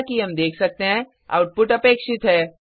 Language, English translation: Hindi, As we can see, the output is as expected